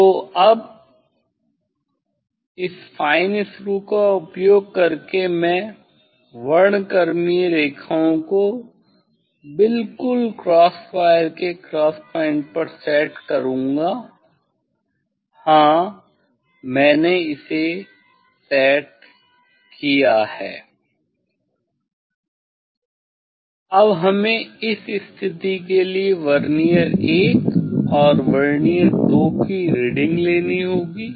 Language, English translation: Hindi, So now, using this fine screw I will set the spectral lines exactly at the cross point of the cross wire, yes, I have set it Now, we have to take reading of the Vernier 1 and Vernier 2 for this position